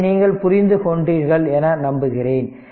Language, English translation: Tamil, So, I hope you have understood this right